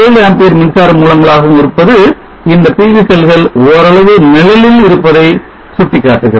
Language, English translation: Tamil, 7 amp current source indicating that these PV cell shave partial shading